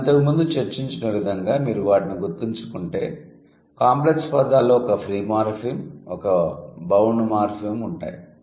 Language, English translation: Telugu, If you remember what we discussed before, the complex words are going to be combination of two free morphemes and compound words are going to be one free morphem and one bound morphem